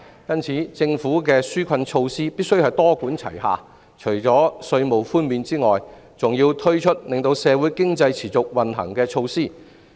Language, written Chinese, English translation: Cantonese, 因此，政府的紓困措施必須多管齊下，除了稅務寬免外，還要推出令社會經濟持續運行的措施。, Hence the relief measures adopted by the Government must be multi - pronged . In addition to tax reductions measures that keep society and the economy running should also be implemented